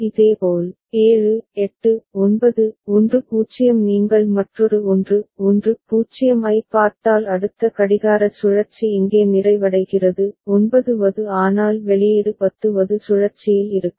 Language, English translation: Tamil, Similarly, 7 8 9 10 if you look at another 1 1 0 is over here a next clock cycle it is getting completed here 9th but the output will be at 10th cycle